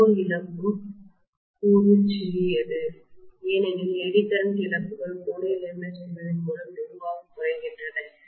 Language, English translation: Tamil, The core loss component is smaller because of the fact that the Eddy current losses are minimise drastically by laminating the core